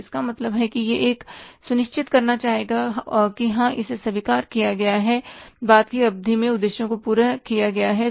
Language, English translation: Hindi, So, it means he would like to make sure that yes, it is accepted and implemented in the later in spirit and objectives achieved